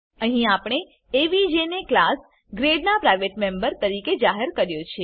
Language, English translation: Gujarati, Here we have declared avg as private member of class grade